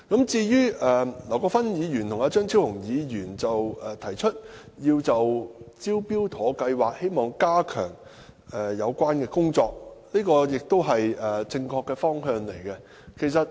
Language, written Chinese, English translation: Cantonese, 至於劉國勳議員及張超雄議員提出加強"招標妥"計劃的有關工作，這亦是正確的方向。, Mr LAU Kwok - fan and Dr Fernando CHEUNGs proposal for stepping up the relevant work of the Smart Tender scheme is also a right direction to go